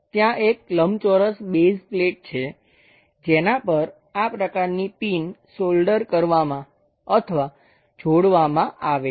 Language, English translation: Gujarati, There is a base plate a rectangular plate on which this kind of pin is soldered or attached this one